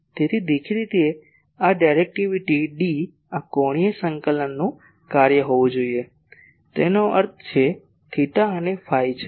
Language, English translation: Gujarati, So; obviously, this directivity D , this should be a function of the angular coordinates ; that means, theta and phi